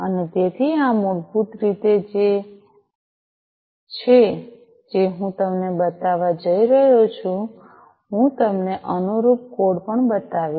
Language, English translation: Gujarati, And so this is what basically is what I am going to show you I am going to show you the corresponding code as well